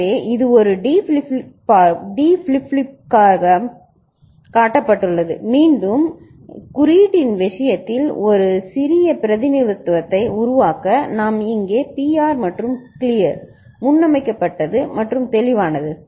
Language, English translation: Tamil, So, this is shown for a D flip flop and then in the case of symbol again, to make a compact representation – we’ll be putting here pr and clear that is preset and clear